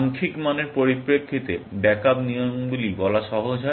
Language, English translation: Bengali, In terms of numerical value, it is easier to state the backup rules